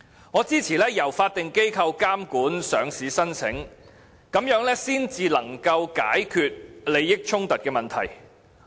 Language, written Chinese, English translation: Cantonese, 我支持由法定機構監管上市申請，這才能解決利益衝突的問題。, I support regulating listing applications by statutory bodies in order to avoid any possible conflict of interests